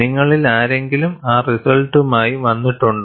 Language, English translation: Malayalam, Have any one of you come with those results